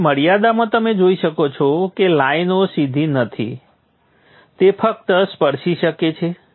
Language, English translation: Gujarati, So in the limit you will see that it may just touch